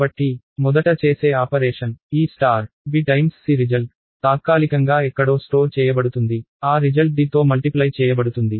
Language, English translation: Telugu, So, this star is the very first operation that will be done, the result of b time c will be store temporarily somewhere, that result will be multiplied by d